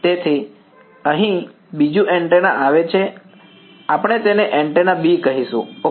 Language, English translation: Gujarati, So, another antenna comes in over here we will call it antenna B ok